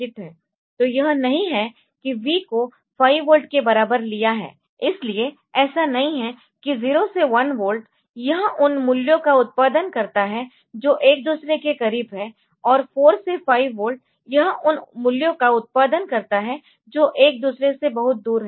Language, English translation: Hindi, So, it is not that say V equal to say 5 volt; so, it is not that 0 to 1 volt it produces values which are close to each other from 4 to 5 volt it produces values which are far away from each other